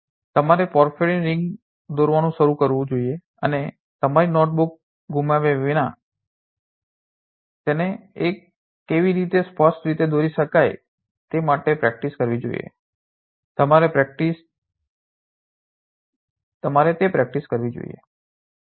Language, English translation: Gujarati, You should start drawing the porphyrin ring and practice how to overall draw it clearly without losing your slip you should must practice that